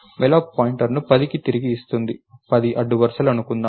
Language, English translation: Telugu, Malloc will return a pointer to 10, lets say 10 rows